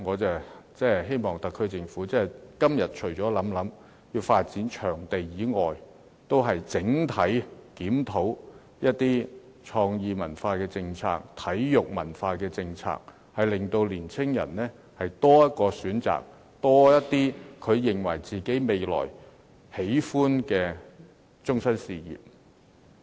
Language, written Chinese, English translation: Cantonese, 就此，我希望特區政府今天除了考慮發展場地外，還要檢討創意文化和體育文化的整體政策，令年青人有多一個選擇，未來有多些他們喜歡的終身事業可以選擇。, In this connection I hope that the SAR Government will not only consider developing venues but also review the overall policy concerning creative culture and sports culture with a view to afford to young people more options . In this way there will be more options for them to pick as their desired lifelong careers in future